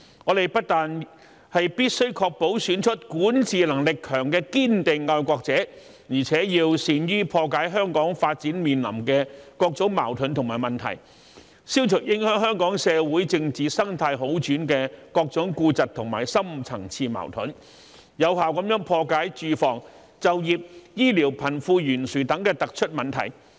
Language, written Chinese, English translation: Cantonese, 我們不但必須確保選出管治能力強的堅定愛國者，而且要善於破解香港發展面臨的各種矛盾和問題，消除影響香港社會政治生態好轉的各種痼疾和深層次矛盾，有效破解住房、就業、醫療、貧富懸殊等突出問題。, Apart from ensuring the election of staunch patriots who are capable of governance we must also be adept at settling the various conflicts and problems facing Hong Kongs development eliminating the various chronic problems and deep - rooted conflicts that affect the improvement of Hong Kongs social and political ecology as well as effectively resolving the outstanding problems of housing employment healthcare and the disparity between the rich and the poor